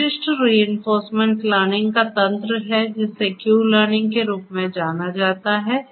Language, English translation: Hindi, There is a specific reinforcement learning mechanism which is known as Q learning ah